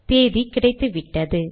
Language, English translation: Tamil, Got the date